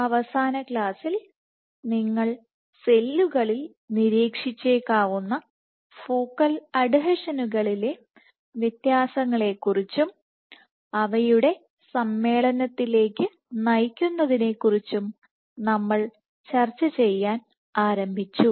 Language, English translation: Malayalam, In the last class we are started discussing about differences in the type of focal adhesions that you might observe in cells and what drives their assembly